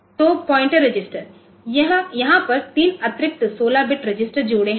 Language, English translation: Hindi, So, pointer register; so, there are three additional the 16 bit register pairs registers 26 to 31